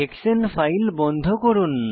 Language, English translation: Bengali, Lets close the hexane file